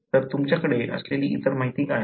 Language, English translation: Marathi, So, what is the other information you have